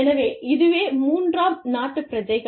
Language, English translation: Tamil, So, this is the third country nationals